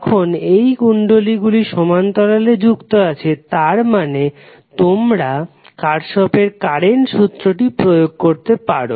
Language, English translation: Bengali, So when these inductors are connected in parallel means you can apply Kirchhoff’s current law